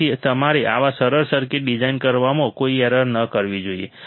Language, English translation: Gujarati, So, you should not commit any mistake in designing such a simple circuits